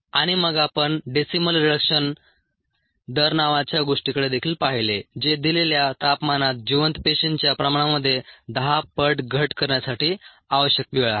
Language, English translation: Marathi, so this is what we arrived at, and then we also looked at something called a decimal reduction rate, which is the time that is required for a ten fold decrease in viable cell concentration at a given temperature